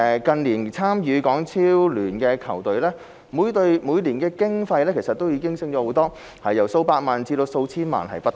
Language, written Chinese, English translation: Cantonese, 近年參與港超聯的球隊，每隊每年經費不斷上升，由數百萬元至數千萬元不等。, The annual operating costs of football teams playing in HKPL have increased in recent years ranging from several millions to tens of millions of dollars